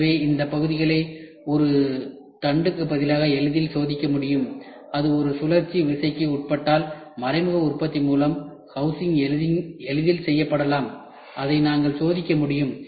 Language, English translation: Tamil, So, these parts can be easily tested rather than a shaft which is to be made and where it undergoes a cyclic loading, the housing can be easily made through indirect manufacturing and we can do testing of it